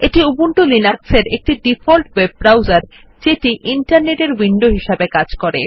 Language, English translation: Bengali, It is the default web browser for Ubuntu Linux, serving as a window to the Internet